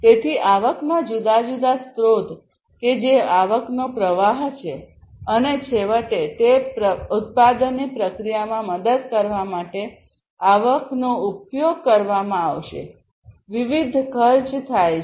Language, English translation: Gujarati, So, what are the different sources of the revenues that is the revenue stream and finally, that revenue is going to be used in order to help in the manufacturing process; incurring the different costs